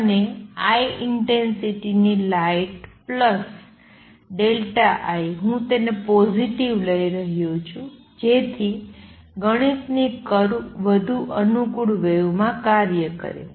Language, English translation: Gujarati, And light of intensity I plus delta I, I am taking it to be positive so that mathematics curves work out in more convenient wave